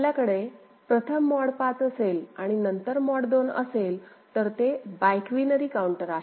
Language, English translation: Marathi, If you have mod 5 first and then mod 2 then it is Biquinary counter ok